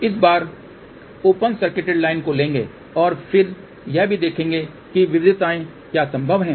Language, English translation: Hindi, This time we will take the open circuited line and then will also look at what are the variations possible